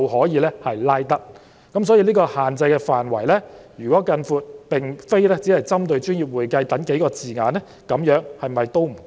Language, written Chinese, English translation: Cantonese, 因此，如果將限制範圍擴大至並非只針對"專業會計"等數個字眼，是否仍不足夠？, In that case is it still insufficient to extend the scope of the restriction to include not only those few terms relating to professional accounting?